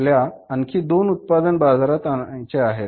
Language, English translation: Marathi, We want to introduce two more products in the market